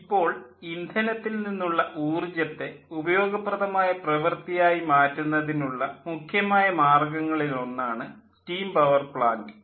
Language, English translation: Malayalam, now, steam power plant is one of the one of the prime methods of converting the energy of fuel into useful work, that is, ultimately into electricity